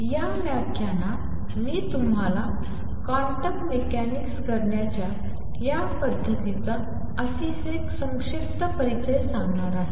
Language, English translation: Marathi, What I am going to give you in this lecture is a very brief introduction to this method of doing quantum mechanics